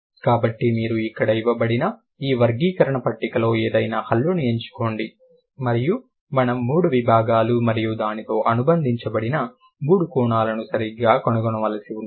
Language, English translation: Telugu, So, you pick and choose any consonant in this classification table given over here and we have to find out what are the three domains or what are the three dimensions associated with it, right